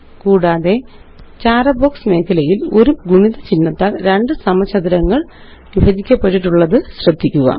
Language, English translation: Malayalam, Also in the Writer gray box area at the top, notice two squares separated by the multiplication symbol